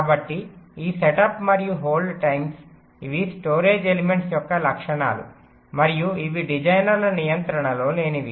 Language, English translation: Telugu, right so this setup and hold times, these are characteristics of the storage elements and these are something which are not under the designers control